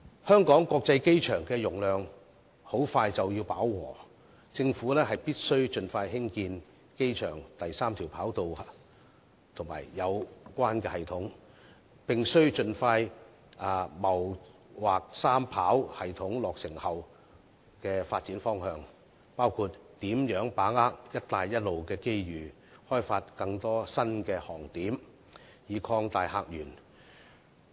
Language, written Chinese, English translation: Cantonese, 香港國際機場的容量快將飽和，政府必須盡快興建機場第三條跑道及相關系統，並盡快謀劃三跑系統落成後的發展方向，包括如何把握"一帶一路"的機遇，開發更多新航點，以擴大客源。, In light of the imminent saturation of the Hong Kong International Airport the Government should build the third runway and the associated airport facilities as early as possible and expeditiously decide on the way forward upon completion of the third runway including how to capitalize on the opportunities offered by the Belt and Road Initiative to increase flight routes to enrich the visitor sources